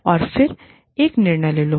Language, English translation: Hindi, And then, take a decision